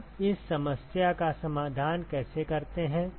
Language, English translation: Hindi, How do we solve this problem